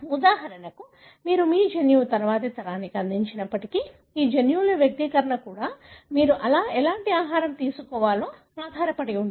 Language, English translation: Telugu, For example, although you would be contributing your genome to the next generation and the expression of these genes also depends on what kind of diet you take